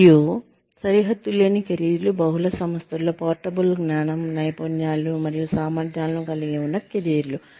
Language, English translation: Telugu, And, boundaryless careers are careers that include portable knowledge, skills and abilities across multiple firms